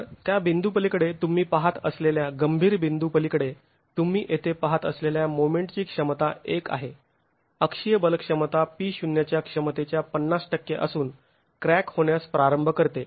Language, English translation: Marathi, So beyond that point, this critical point that you see here where the moment capacity is 1, the axial force capacity is 50% of the capacity P0, the wall starts cracking